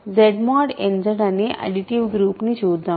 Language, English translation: Telugu, Let us consider Z mod n Z be the additive group